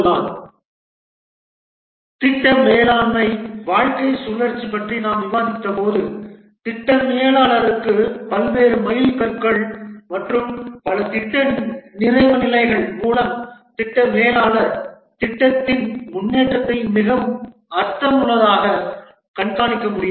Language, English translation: Tamil, As we are discussing, the project management lifecycle allows the project manager to have various milestones and stage completion by which the project manager can track the progress of the project more meaningfully